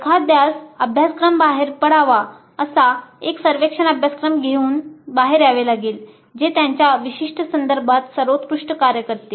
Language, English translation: Marathi, One has to experiment and come out with a course exit survey form which works best for their specific context